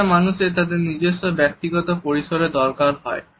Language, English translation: Bengali, Everyone needs their own personal space